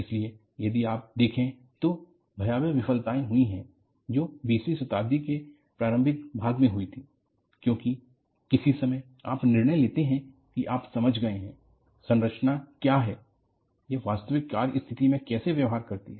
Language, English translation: Hindi, So, if you look at, there have been spectacular failures, which occurred in the early part of the twentieth century; because at some point in time, you decide, you have understood, what the structure is, how do they behave in actual service condition